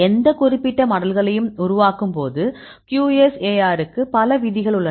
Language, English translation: Tamil, So, there are several rules for the QSAR when you are developing any specific models